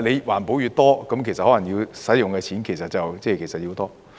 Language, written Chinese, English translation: Cantonese, 環保措施越多，其實可能要用的錢便越多。, The more environmental protection measures there are the more money that we may have to spend